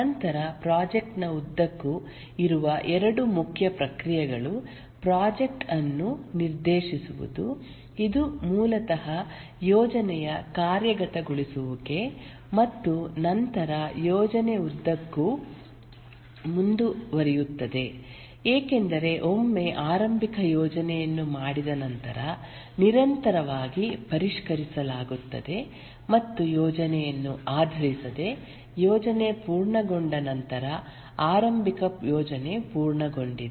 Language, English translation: Kannada, If we represent that pictorially, there is a startup processes and then two main processes which exist throughout the project are the directing a project which is basically execution of the project and then planning continues throughout because once the initial plan is made it is continuously revised and based on the plan once the plan is complete initial plan is complete the project is initiated and the project undergoes various stages